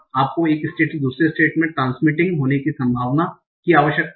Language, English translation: Hindi, You need the probability of transiting from one state to another state